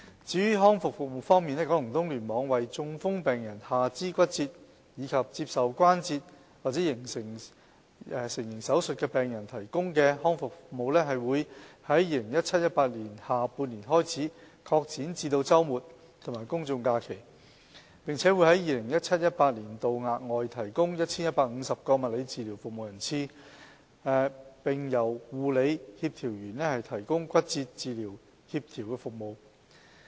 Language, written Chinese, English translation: Cantonese, 至於康復服務方面，九龍東聯網為中風、下肢骨折及接受關節成形手術的病人提供的康復服務，會在 2017-2018 年下半年開始擴展至周末和公眾假期，並會在 2017-2018 年度額外提供 1,150 個物理治療服務人次，並由護理協調員提供骨折治療協調服務。, As regards rehabilitation services starting from the latter half of 2017 - 2018 rehabilitation services provided for patients with stroke lower limb fracture and arthroplasty will be extended to cover weekends and public holidays with the provision of an additional 1 150 physiotherapy attendances in 2017 - 2018 . A nursing coordinator will also be provided for the fragility fracture service